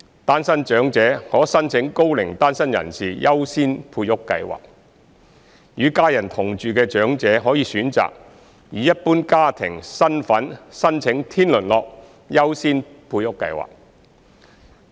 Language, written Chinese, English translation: Cantonese, 單身長者可申請高齡單身人士優先配屋計劃；與家人同住的長者可選擇以一般家庭身份申請天倫樂優先配屋計劃。, Elderly singletons may apply for PRH under the Single Elderly Persons Priority Scheme while elderly persons living with their families may choose to apply for PRH under the Harmonious Families Priority Scheme as an ordinary family